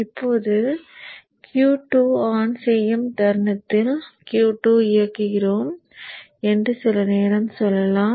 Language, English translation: Tamil, And then after some time let us say we are switching on Q2